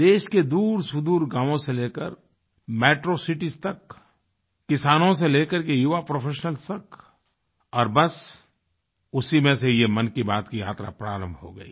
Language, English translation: Hindi, From remote villages to Metro cities, from farmers to young professionals … the array just prompted me to embark upon this journey of 'Mann Ki Baat'